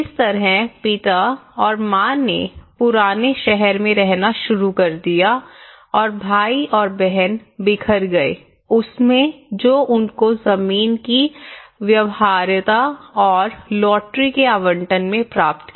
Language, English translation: Hindi, So father and mother started living in the whole city old town areas and old village areas and the brothers and sisters they all scattered in whatever the land feasibility and the lottery allotments they got